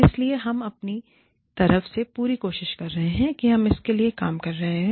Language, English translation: Hindi, So, we are trying our best, and we are working towards it